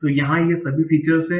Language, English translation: Hindi, So here are all these features, right